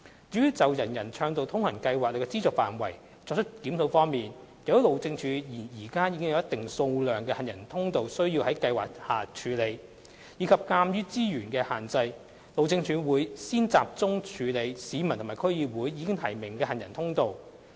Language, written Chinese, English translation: Cantonese, 至於就"人人暢道通行"計劃的資助範圍作出檢視方面，由於路政署現時已有一定數量的行人通道需要在計劃下處理，以及鑒於資源的限制，路政署會先集中處理市民及區議會已提名的行人通道。, Regarding the review over the funding scope of the UA Programme as the Highways Department already has a considerable number of walkways in hand for implementation under the UA Programme and in view of resources constraints the Highways Department will first focus on dealing with those walkways which had already been suggested by the public and DCs earlier